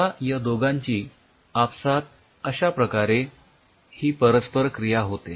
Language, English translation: Marathi, so now these two interact with each other